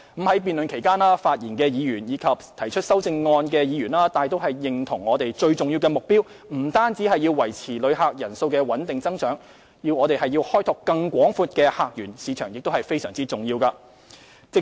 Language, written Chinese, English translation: Cantonese, 在辯論期間，發言的議員及提出修正案的議員大都認同，我們最重要的目標不單是維持旅客人數穩定增長，開拓更廣闊的客源市場也非常重要。, During the debate the majority of Members who spoke and Members who proposed the amendments shared the view that our most important goal was not only to maintain a steady increase in the number of tourists but it was also very important to develop broader visitor source markets